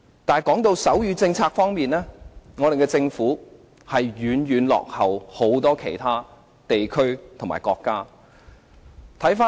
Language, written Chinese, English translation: Cantonese, 但是，在手語政策方面，政府遠遠落後於許多其他地區和國家。, But the Governments sign language policies have lagged far behind those of many other places and countries